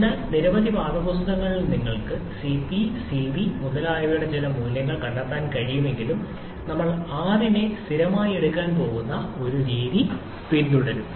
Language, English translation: Malayalam, So, though in several textbooks you may find some given value of Cp, Cv etc, but we shall be following this methodology where we are going to take R as a constant